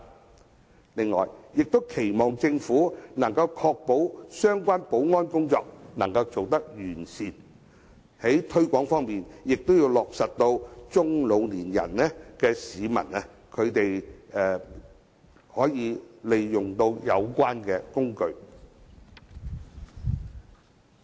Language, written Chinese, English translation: Cantonese, 此外，我亦期望政府可以確保相關保安工作做得完善。在推廣方面，亦要讓中老年市民也可利用有關工具。, I also expect the Government to ensure that FPS will be properly secured and widely promoted so that middle - aged and elderly people will also know how to use them